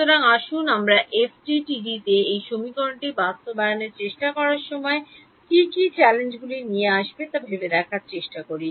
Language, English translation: Bengali, So, let us try to just think of what are the challenges that will come when we are trying to implement this equation in FDTD